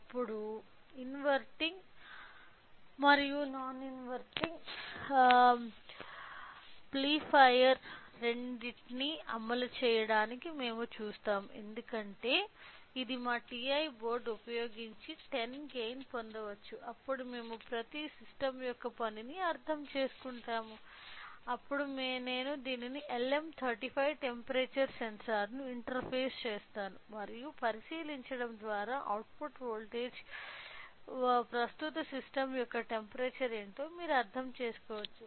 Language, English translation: Telugu, Now, we will see the implementation of both inverting amplifier as this is non inverting amplifier for a gain of 10 using our TA board, then we will understand the working of the each system then I will interface LM35 temperatures sensor to this and by looking into the output voltage you can understand what is the system temperature at present ok